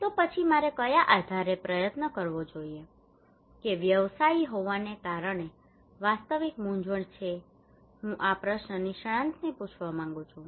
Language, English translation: Gujarati, Then which one I should try on what basis that is a real dilemma being a practitioner I would like to ask this question to the expert